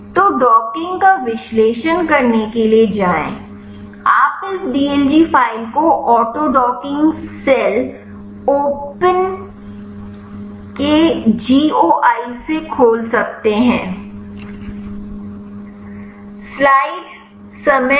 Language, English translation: Hindi, So, go to analyze docking you can open this dlg file from the goi of the autodocking cell open